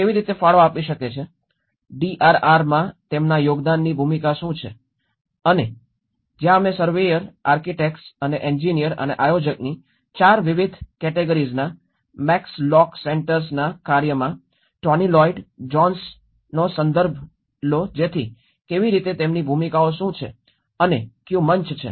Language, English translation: Gujarati, How they have to contribute, what is the role of their contribution in the DRR and that is where we refer to the Tony Lloyd Jones in Max lock Centres work of the 4 different categories of surveyor, architects and the engineer and the planner so how what are their roles and what stage